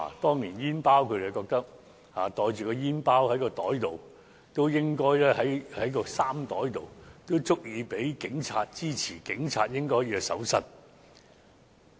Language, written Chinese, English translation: Cantonese, 他們覺得煙包放在衣袋內已足以被警察......支持警察應進行搜身。, They think it is so suspicious for us to have a cigarette packet in the pocket that police officers can they support empowering police officers to search us